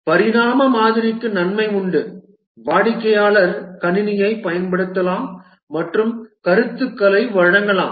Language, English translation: Tamil, Evolutionary model has the advantage that the customer can use the system and give feedback